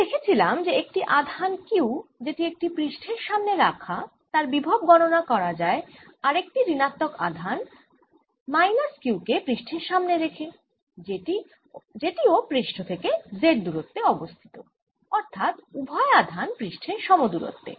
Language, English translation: Bengali, and we found that the potential can be obtained by putting a minus charge, minus q charge for a charge q in front of the surface which is at a distance, z at the same distance from the surface